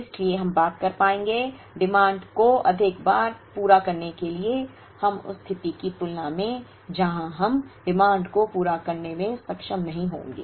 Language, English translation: Hindi, So, the thing is we will be able to meet the demand more times then we will, than the situation where we will not be able to meet the demand